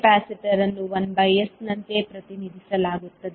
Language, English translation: Kannada, Capacitor will be represented as 1 by s